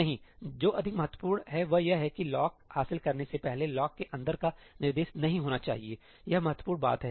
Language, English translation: Hindi, No, what is more important is that the instruction inside the lock must not take place before the lock has been acquired, that is the critical thing